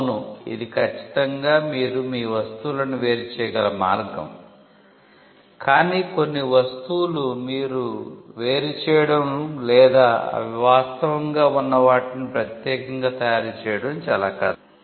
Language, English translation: Telugu, Yes, that is certainly a way in which you can distinguish your goods, but certain goods it is very hard for you to distinguish or to make them unique from what they actually are